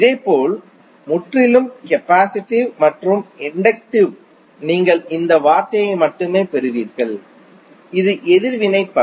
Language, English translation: Tamil, Similarly for purely capacitive and inductive you will only have this term that is the reactive power